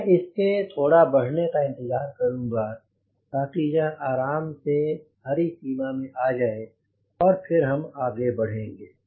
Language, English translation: Hindi, so i will wait for the oil temperature to slightly increase so that it is comfortably in the green range and then we will overhead